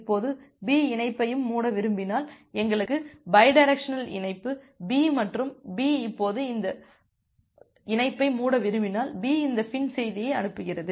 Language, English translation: Tamil, Now, if B wants to close the connection as well, so we have a bidirectional connection B also B to A now if B wants to close this connection B sends this FIN message